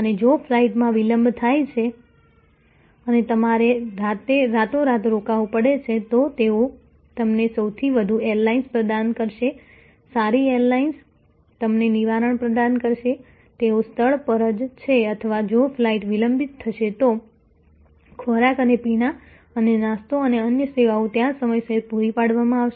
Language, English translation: Gujarati, And if the flight is in add it delayed and you have to stay overnight, they will provide you the most airlines good airlines will provide you provide you a Redressal, they are on the spot or if the flight in order to delayed, food and beverage and snacks and other services will be provided on time right there